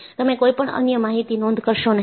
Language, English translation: Gujarati, You do not record any other information